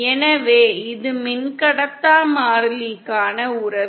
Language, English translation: Tamil, So this is the relationship for the dielectric constant